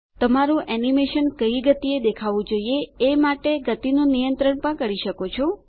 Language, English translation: Gujarati, You can also control the speed at which your animation appears